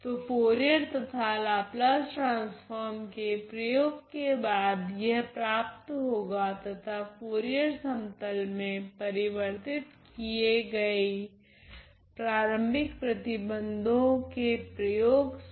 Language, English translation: Hindi, So, then if I; so, this is after the application of both Fourier and Laplace transform and using my initial condition which was transformed in the Fourier plane ok